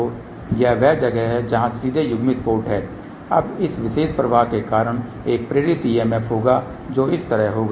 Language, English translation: Hindi, So, this is where the directly coupled port is there , now because of this particular flow there will be an induced EMF which will be like this